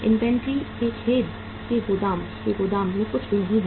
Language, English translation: Hindi, Nothing is in the godown of the warehouse of the sorry of the inventory